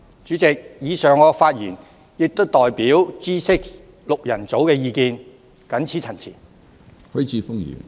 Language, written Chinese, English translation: Cantonese, 主席，我以上的發言亦代表 "G6 六人組"的意見，謹此陳辭。, President the speech made by me just now also represents the views of the Group of Six . I so submit